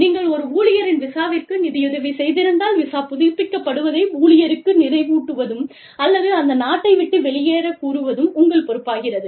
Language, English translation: Tamil, You, if you have sponsored the visa, of an employee, it is your responsibility, to remind the employee, to get the visa renewed, or leave the country, you know, well within time